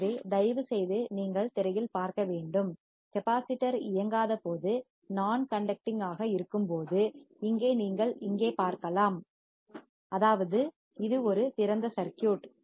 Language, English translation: Tamil, So, you have to see on the screen please, when the capacitor is non conducting, you can see here right that means, it is an open circuit